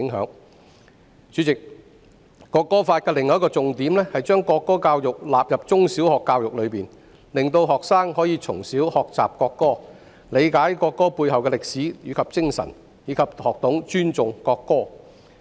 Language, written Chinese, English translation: Cantonese, 代理主席，《條例草案》的另一個重點是把國歌納入中、小學教育，令學生可以從小學習國歌，理解國歌背後的歷史及精神，以及學懂尊重國歌。, Deputy Chairman another key point of the Bill is the inclusion of the national anthem in primary and secondary education so that students can learn the national anthem its history and spirit and to respect it from an early age